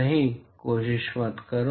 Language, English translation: Hindi, No, not try